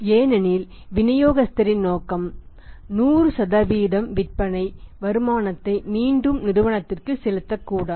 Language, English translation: Tamil, Because distributor’s intention was not to pay 100% sale proceeds back to the company